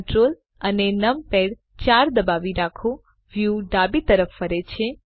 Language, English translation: Gujarati, Hold Ctrl numpad 4 the view pans to the Left